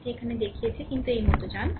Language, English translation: Bengali, I have shown it here, but go like this